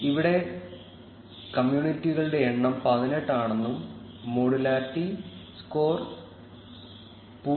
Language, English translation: Malayalam, In our case, we can see that the numbers of communities are 18 and the modularity score is 0